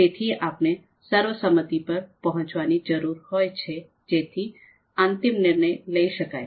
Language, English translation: Gujarati, Therefore, we need to reach a consensus so that a final decision could be made